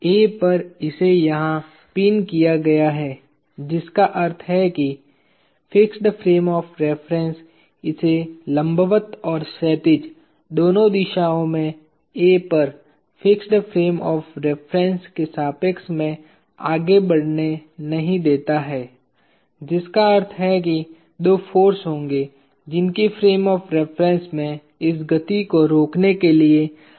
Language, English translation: Hindi, At A, it is pinned here which means the fixed frame of reference does not let it move with respect to the fixed frame of reference at A, both in the vertical and the horizontal direction which means there will be two forces that will be needed by the fixed frame of reference in order to restrain this motion